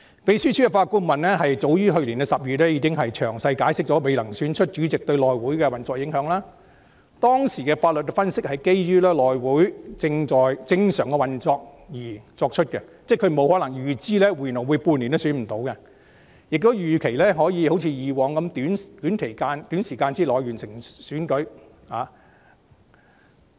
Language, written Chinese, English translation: Cantonese, "秘書處法律顧問早於去年10月，已經詳細解釋未能選出主席對內會運作的影響，當時的法律分析是基於內會在正常運作的情況下而作出的"，因為法律顧問不會預知半年內也未能選出主席，所以"預期內會一如以往可以在短時間內完成主席選舉"。, As early as October last year the Secretariats Legal Adviser had explained in detail the implications on the operation of HC pending the election of its chairman . The legal analysis made at the time was based on the ordinary course of events envisaged in HC . As the Legal Adviser could not foresee that it would fail to elect its chairman in half a years time it is anticipated that HC could complete the election of chairman within a short time